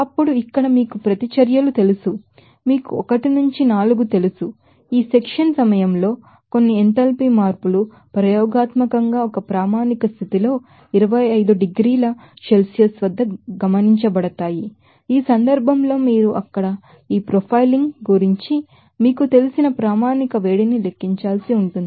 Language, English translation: Telugu, Now, here the following you know reactions, you know 1 to 4, there are some enthalpy changes during this section are observed experimentally at 25 degrees Celsius in a standard state in this case you have to calculate the standard heat of formation of you know this profiling there